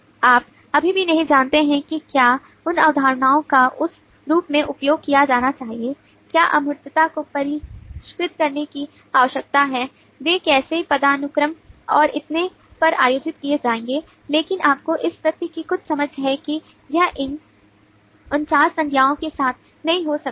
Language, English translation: Hindi, you do not still know whether those concepts should be used in that form itself, whether the abstractions need refinement, how they will be organised on hierarchies and so on, but you have some sense of the fact that it is not